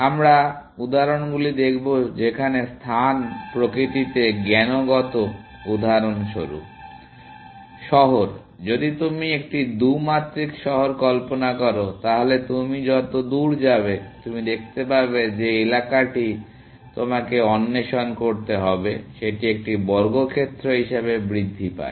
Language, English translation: Bengali, We will look at the examples where, space is cognatic in nature, for example, city, if you imagine a 2 dimensional city, then the farther you are go away, you can see the area that you have to explore grows as a square, essentially